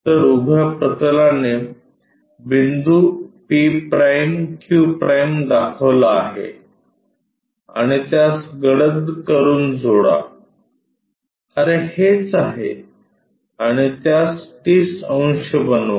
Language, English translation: Marathi, So, vertical plane points p’ q’ and join this by darker one, oh this is the one and make it 30 degrees